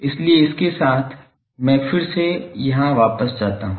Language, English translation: Hindi, So, with that I again go back here